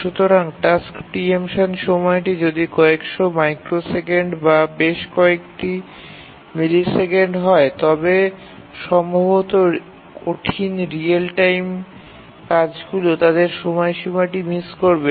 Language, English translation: Bengali, So if the task preemption time is hundreds of microseconds or a second or several milliseconds, then it's likely that the hard real time tasks will miss their deadline